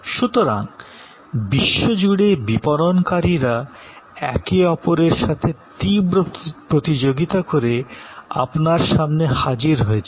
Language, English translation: Bengali, So, the marketers from across the world are at your desk, competing fiercely with each other